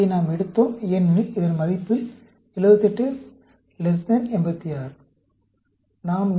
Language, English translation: Tamil, We took this because, the 78 is less than 86, at the value of this